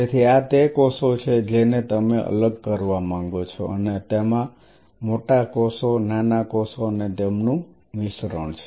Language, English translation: Gujarati, So, these are the cells which you want to separate out and it has a mix of bigger cells smaller cells even a smaller cell, small cells